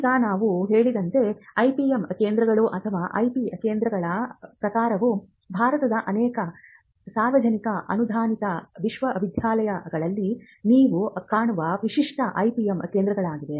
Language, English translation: Kannada, Now, the type of IPM centres or IP centres the internal one as we mentioned are the typical IPM cells that you will find in many public refunded universities in India